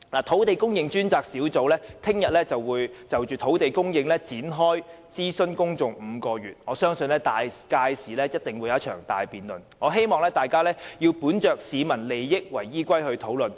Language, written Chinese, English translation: Cantonese, 土地供應專責小組明天會就土地供應展開為期5個月的公眾諮詢，我相信屆時一定會進行大辯論，希望大家要本着以市民利益為依歸進行討論。, The Task Force on Land Supply will launch a five - month public consultation on land supply tomorrow and I believe a big debate will certainly be held . I hope that Members will discuss for the interests of the people